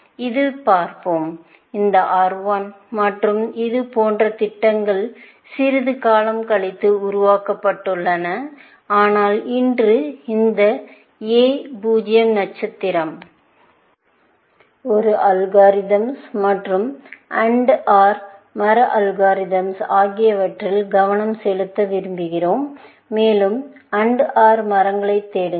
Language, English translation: Tamil, We will look at this; how this R 1 and things like this; such programs have built, a little bit later in the course, but today, we want to focus on this A 0 star, kind of an algorithm, or AND OR tree algorithms, and which basically, search over AND OR trees